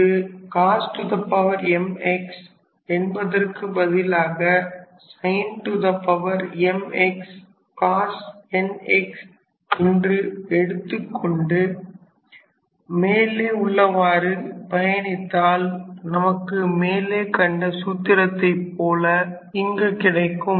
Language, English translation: Tamil, Similarly, instead of cos to the power m x you can have sin to the power m x times cos n x and then you proceed in the similar fashion and then you will probably end up with a similar formula of this type